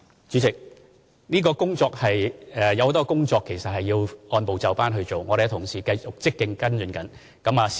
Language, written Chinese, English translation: Cantonese, 主席，有很多工作其實是要按部就班進行的，我們的同事繼續積極跟進中。, President indeed a lot of work has to be done step by step . Our colleagues are actively following it up